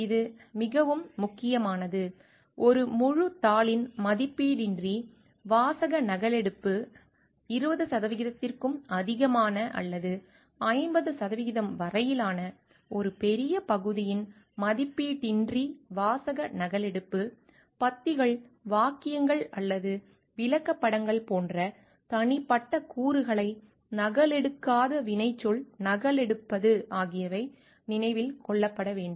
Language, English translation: Tamil, This is very important which needs to be remembered uncredited verbatim copying of a full paper, uncredited verbatim copying of a large portion greater than 20 percent or up to 50 percent, uncredited verbatim copying of individual elements like paragraphs sentences or illustrations